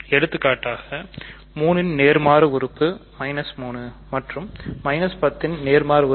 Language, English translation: Tamil, For example, inverse of 3 is minus 3 inverse of minus 10 is 10